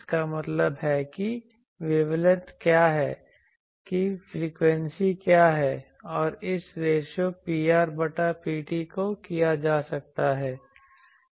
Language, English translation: Hindi, That means, what is the wavelength or what is the frequency and this ratio P r by P t so this can be done